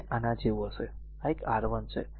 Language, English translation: Gujarati, It will be like this, this is a R 1, right